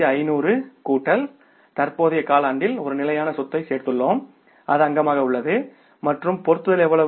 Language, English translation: Tamil, 12,500 plus we added one fixed asset in the current quarter that is the fixture and how much is the fixture